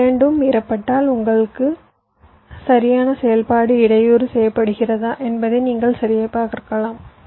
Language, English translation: Tamil, you can check if this two are violated, your correct operation will be disturbed